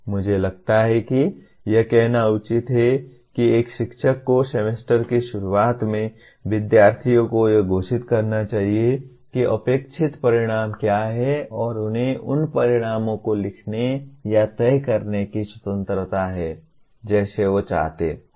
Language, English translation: Hindi, I think it is fair to say a teacher should at the beginning of the semester should declare to the students what are the expected outcomes and he has the freedom to write or decide what those outcomes he wants them to be